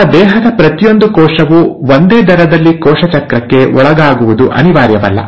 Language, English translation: Kannada, Now, it's not necessary that each and every cell of your body will undergo cell cycle at the same rate